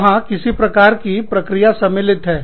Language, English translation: Hindi, There is, some kind of process involved